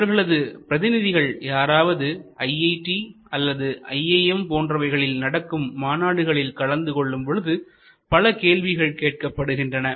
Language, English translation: Tamil, And lots of questions are asked, whenever they come to IITs or IIMs or their representatives visit various other conferences